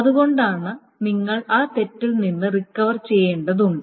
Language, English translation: Malayalam, So that is why you need to recover from that fault